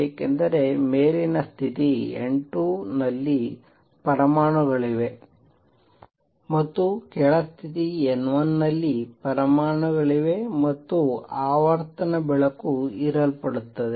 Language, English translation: Kannada, That happens because there are atoms in the upper state N 2, there are atoms in the lower state N 1, and the frequency light gets absorbed